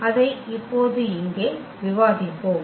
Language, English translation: Tamil, We will discuss here now